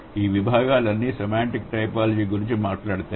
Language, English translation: Telugu, All these disciplines, they do talk about semantic typology